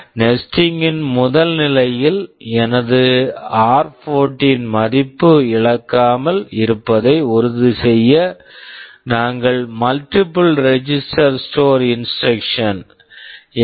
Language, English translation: Tamil, In the first level of nesting, just to ensure that my r14 value does not get lost, we are using a multiple register store instruction STMFD